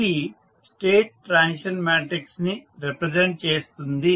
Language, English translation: Telugu, What is a State Transition Matrix